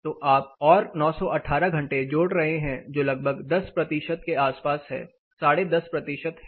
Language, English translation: Hindi, So, you are adding another 918 hours which is around 10 percentages, ten and half percentage